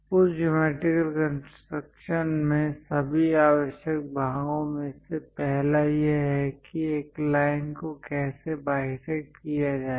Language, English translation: Hindi, In that geometric constructions, the first of all essential parts are how to bisect a line